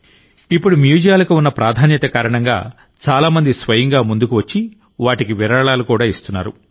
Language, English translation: Telugu, Now, because of the importance of museums, many people themselves are coming forward and donating a lot to the museums